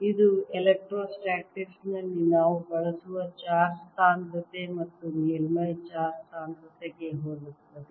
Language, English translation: Kannada, this is similar to the charge density and surface charge density that we use in electrostatics